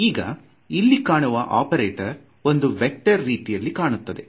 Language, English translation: Kannada, Now this operator over here is very much like a vector